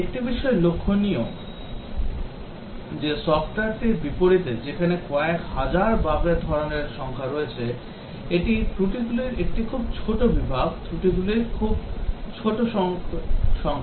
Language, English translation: Bengali, But, one thing to notice is that in contrast to software where the number of types of bugs is very large tens up thousands, it is very small category of faults, very small number of types of faults